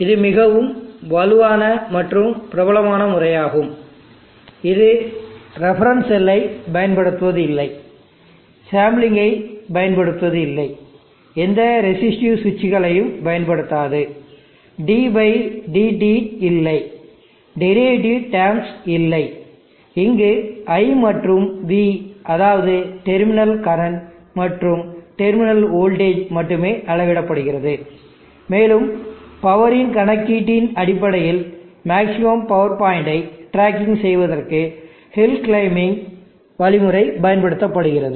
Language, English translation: Tamil, It is a very robust and popular method, it does not use the reference cell, it does not use sampling, it does not use any resistive switches there is no d/dt, no derivative terms only I and V terminal current and terminal voltage are measured, and based on the calculation of the power the hill climbing algorithm is used for tracking the maximum power point